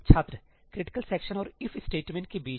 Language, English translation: Hindi, Between the critical section and the If statement